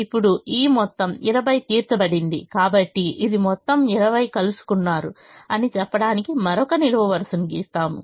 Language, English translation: Telugu, now this entire twenty has been met and therefore we draw another vertical line to say that this entire twenty has been met